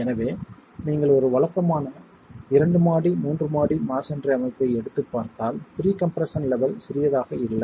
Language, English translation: Tamil, So, you take a regular masonry structure, two story, three story masonry structure, pre compression levels are not small